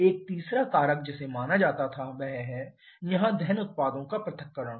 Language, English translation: Hindi, A third factor that was considered is the dissociation of combustion products here